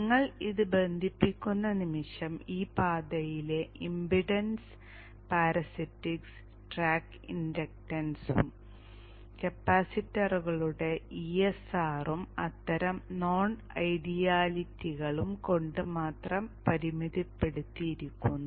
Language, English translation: Malayalam, So the moment you connect this, the impedance in this path is very minimal, limited only by the parasitics, the track inductance and the ESR of the capacitors and such, such of the non idealities